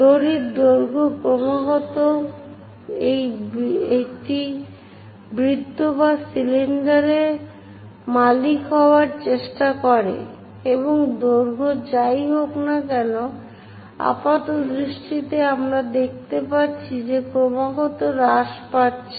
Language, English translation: Bengali, The rope length continuously it try to own the circle or cylinder and the length whatever the apparent length we are going to see that continuously decreases